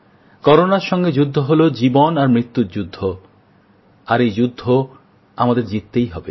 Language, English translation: Bengali, The fight against Corona is one between life and death itself…we have to win